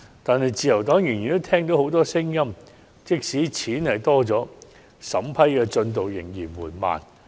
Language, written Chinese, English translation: Cantonese, 可是，自由黨依然聽到許多聲音，指出雖然增加了資金，但審批進度卻仍然緩慢。, That said the Liberal Party has still heard a lot of voices saying that the vetting process is slow despite the additional funds